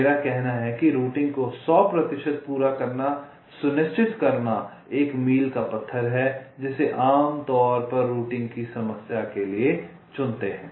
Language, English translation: Hindi, i mean ensuring hundred percent completion of routing is one of the milestones that we usually select for the problem of routing